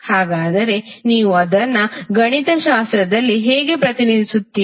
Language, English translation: Kannada, So how you will represent it mathematically